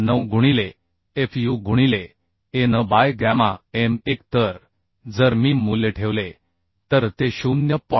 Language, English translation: Marathi, 9 into fu into An by gamma m1 So if I put the value it will be 0